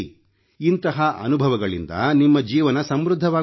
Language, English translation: Kannada, These experiences will enrich your lives